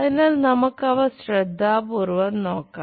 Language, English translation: Malayalam, So, let us look at those carefully